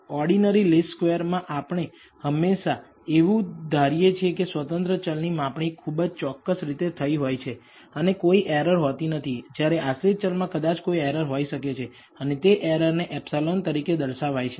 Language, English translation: Gujarati, In ordinary least squares we always assume that the independent variable measurements are perfectly measured and do not have any error whereas, the dependent variable may contain some error and that error is indicated as epsilon